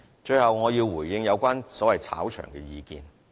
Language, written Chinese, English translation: Cantonese, 最後我要回應有關所謂"炒場"的意見。, Lastly I would like to respond to comments on the so - called touting activities